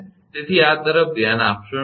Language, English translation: Gujarati, So, do not look into this